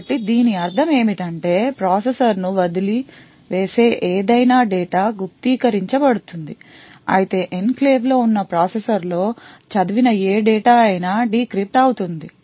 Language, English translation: Telugu, So what this means is that any data leaving the processor would be encrypted while any data read into the processor which is present in the enclave would be decrypted